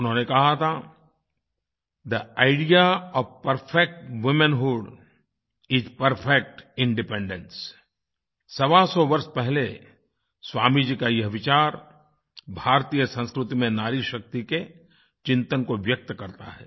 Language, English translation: Hindi, He'd said 'The idea of perfect womanhood is perfect independence' This idea of Swami ji about one hundred and twenty five years ago expresses the contemplation of woman power in Indian culture